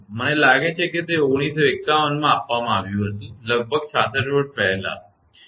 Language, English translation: Gujarati, I think it was given in 1951, more nearly 66 years back all right